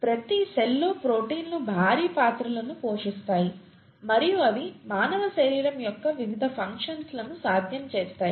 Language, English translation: Telugu, Proteins play huge roles in every cell and they make the various functions of the human body possible, okay